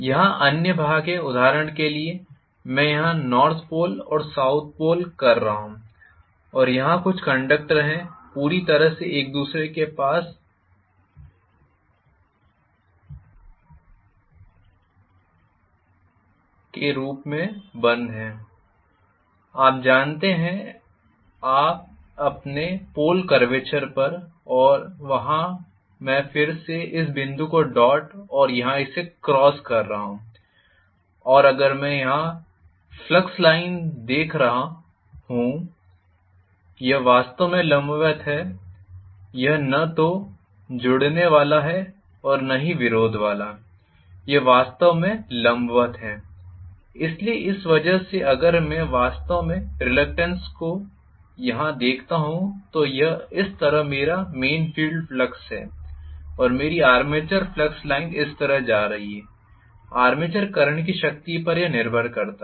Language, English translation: Hindi, There are other portions where, for example, I am having the pole here, north pole and south pole, and I am having some conductors here as well, very closed to, you know, the pole curvature itself and there I am having this dot again and this cross here and if I look at the flux line here it is actually perpendicular, it is not neither aiding nor opposing, it is actually perpendicular, so because of which if I actually look at the resultant here this is the way I am going to have my main field flux, and I am going to have my armature flux lines somewhat like this, depending upon the strength of the armature current, of course